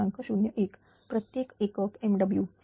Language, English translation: Marathi, 01 per unit megawatt